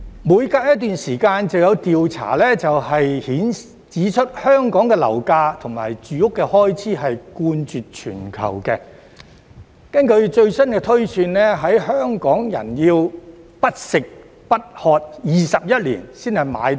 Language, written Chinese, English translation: Cantonese, 每隔一段時間就有調查指出，香港的樓價或住屋開支冠絕全球，根據最新的推算，香港人要不吃不喝21年才買到樓。, From time to time there will be a survey pointing out that Hong Kongs property prices or housing costs top the world . According to the latest projection it takes 21 years for Hong Kong people to buy a flat without eating and drinking